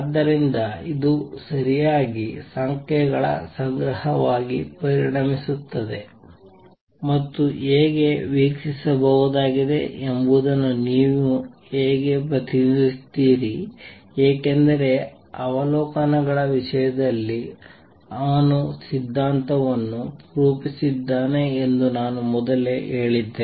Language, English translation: Kannada, So, it becomes a collection of numbers all right and that is how you represent how are the observable because earlier I had said that he had formulated theory in terms of observables